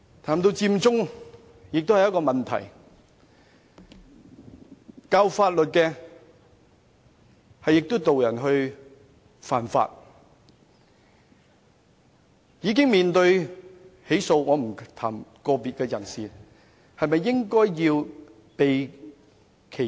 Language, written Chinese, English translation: Cantonese, 談到佔中，這也是一個問題，教授法律的人卻導人犯法，已經面對起訴——我不想談論個別人士——他們是否應當避嫌？, The Occupy Central movement is also a problem . A professor of law led people to break the law . As he is already facing charges―I do not want to speak about specific individuals―should he avoid arousing suspicion?